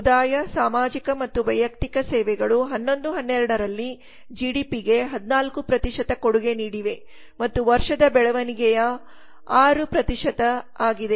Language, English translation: Kannada, 7 percent the community social and personal services contributed 14 percent to GDP in 11 12 and the year on year growth was 6 percent Construction was 8